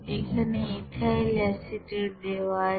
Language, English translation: Bengali, Here ethyl acetate is given